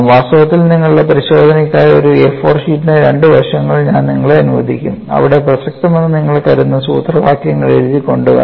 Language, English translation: Malayalam, In fact, for your examination, I would allow you two sides of an A 4 size sheets, where you could have the formulae you think that are relevant can be written and come